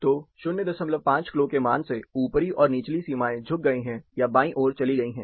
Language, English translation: Hindi, 5 clo value, the upper and lower limit have tilted, or moved towards left side